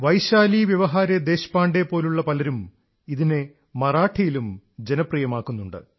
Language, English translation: Malayalam, People like Vaishali Vyawahare Deshpande are making this form popular in Marathi